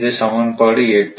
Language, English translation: Tamil, So, this is equation one